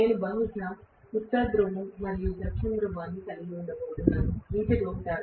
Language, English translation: Telugu, I am probably going to have North Pole and South Pole; this is the rotor right